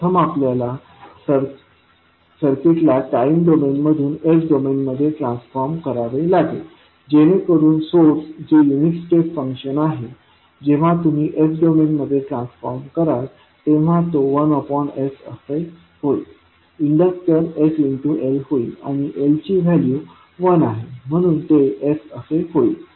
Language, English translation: Marathi, First we have to transform the circuit from time domain into s domain, so the source which is unit step function when you will convert into s domain it will become 1 by S, inductor will become the inductor is sL and value of L is 1so it will become S